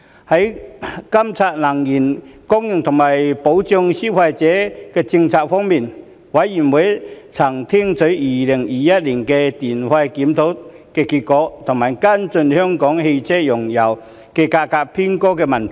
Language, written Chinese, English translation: Cantonese, 在監察能源供應和保障消費者政策方面，事務委員會曾聽取2021年的電費檢討結果及跟進香港車用燃油價格偏高的問題。, On monitoring policies relating to energy supply and consumer protection the Panel was briefed on the results of the 2021 electricity tariff review and followed up on the issue of high auto - fuel prices in Hong Kong